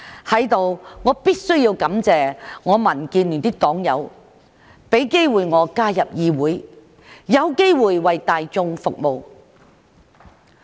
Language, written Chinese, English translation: Cantonese, 在此，我必須感謝民建聯的黨友，讓我有機會加入議會，有機會為大眾服務。, Here I must thank members of the Democratic Alliance for the Betterment and Progress of Hong Kong for enabling me to have the chance to enter this Council and serve the public